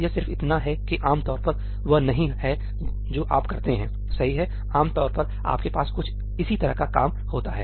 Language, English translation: Hindi, It is just that typically that is not what you do ; typically you have some similar stuff going on